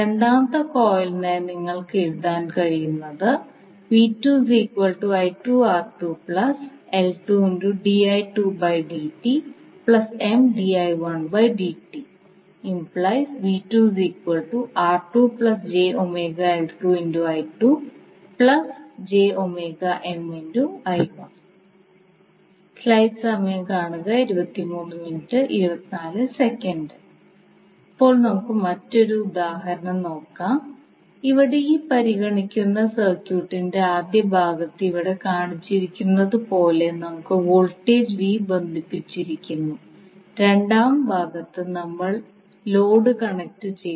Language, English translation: Malayalam, So now let us take another example where we consider this circuit as shown in the figure here in the first part of the circuit we have voltage V connected while in the second part we have load that is connected